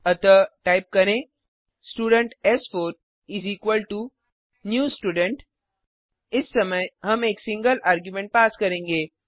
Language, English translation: Hindi, Now let us call this constructor So type Student s4 is equalto new Student this time we will pass an single argument